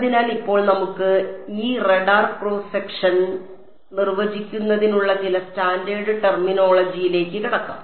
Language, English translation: Malayalam, So, now let us get into some standard terminology for defining this radar cross section ok